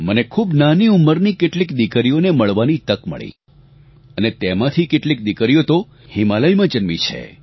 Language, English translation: Gujarati, I had the opportunity to meet some young daughters, some of who, were born in the Himalayas, who had absolutely no connection with the sea